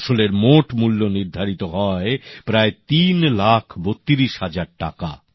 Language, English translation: Bengali, The total cost of the produce was fixed at approximately Rupees Three Lakh thirty two thousand